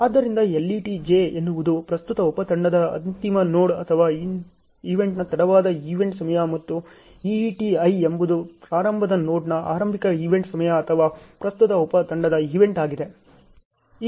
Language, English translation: Kannada, So, LET j is late event time of the end node or event of the current sub team and EET i is early event time of the start node or event of the current sub team